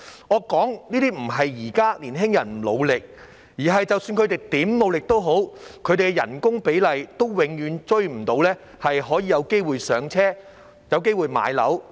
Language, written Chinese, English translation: Cantonese, 我說這些並非指現在的年輕人不努力，而是即使他們如何努力，他們的工資比例永遠也追不上，沒有機會"上車"及買樓。, With these remarks I do not mean to suggest that young people are not working hard but rather that no matter how hard they work their wages will never be able to catch up leaving them no chance to get onto the property ladder